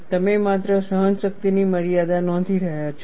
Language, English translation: Gujarati, You are only noting the endurance limit